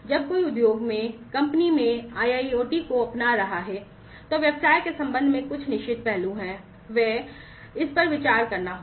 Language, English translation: Hindi, When somebody is adopting IIoT in the company in the industry, then there are certain aspects with respect to the business, they are that will have to be considered